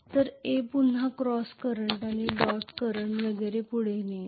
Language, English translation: Marathi, Whereas A will be carrying again cross current and dot current and so on and so forth